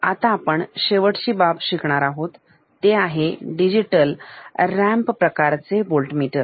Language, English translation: Marathi, The last thing that we will study now, in this part is Digital Ramp Type Voltmeter